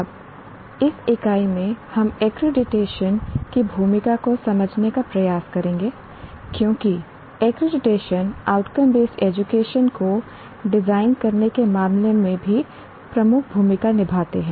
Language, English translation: Hindi, Now, in this unit, we will try to understand the role of accreditation because accreditation plays a major role in terms of designing outcome based education as well